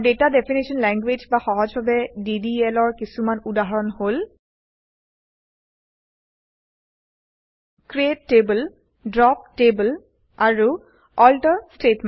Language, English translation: Assamese, And some examples of Data Definition Language, or simply DDL, are: CREATE TABLE, DROP TABLE and ALTER statements